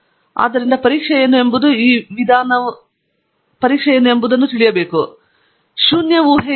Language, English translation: Kannada, So, what it is testing is that the means are not different from each other, thatÕs null hypothesis